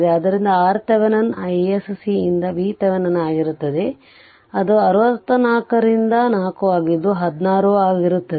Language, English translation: Kannada, Therefore, R Thevenin will be V Thevenin by i s c it is 64 by 4 it will be sixteen ohm